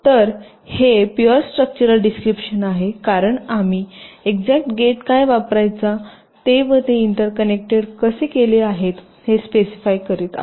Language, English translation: Marathi, so this is the pure structural description because we have specifying the exact gates to be used and how they are interconnected